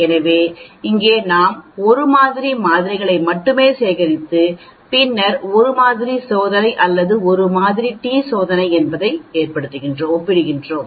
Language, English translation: Tamil, So here we are collecting only 1 set of samples and then comparing with the population that is called a one sample test or one sample t test